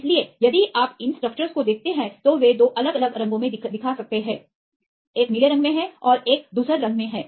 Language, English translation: Hindi, So, if you see these structures they can show in the 2 different colours one is in blue and one is in gravy